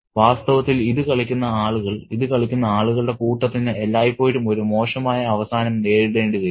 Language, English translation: Malayalam, And in fact, the people who play this, you know, hordes of people who play this will always meet with a bad end